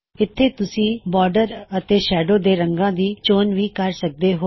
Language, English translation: Punjabi, You can choose the colour of the border and the shadow as well